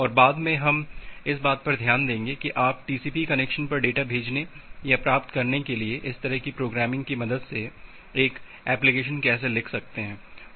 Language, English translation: Hindi, And later on we will look into that how you can write an application with the help of such a programming to send or receive data over TCP connections